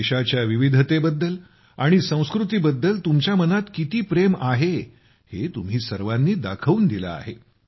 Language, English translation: Marathi, You all have shown how much love you have for the diversity and culture of your country